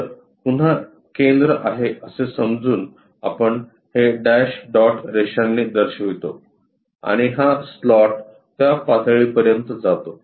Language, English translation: Marathi, So, supposed to be center again we show it by dash dot line and this slot goes up to that level